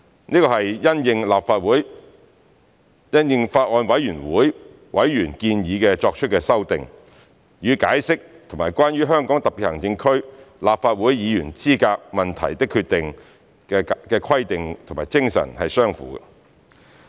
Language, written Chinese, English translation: Cantonese, 這是因應法案委員會委員建議作出的修訂，與《解釋》及《關於香港特別行政區立法會議員資格問題的決定》的規定和精神相符。, These amendments are made in light of the suggestions of the members of the Bills Committee and are in line with the regulations and spirits of the Interpretation and the Decision on Issues Relating to the Qualification of the Members of the Legislative Council of the Hong Kong Special Administrative Region